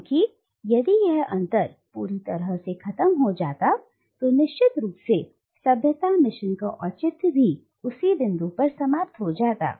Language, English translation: Hindi, Because if the gap completely closes down, then of course the justification of the civilising mission ends at that very point